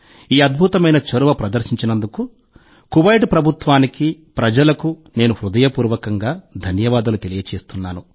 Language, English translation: Telugu, I thank the government of Kuwait and the people there from the core of my heart for taking this wonderful initiative